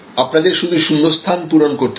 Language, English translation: Bengali, So, you simply have to fill in the blanks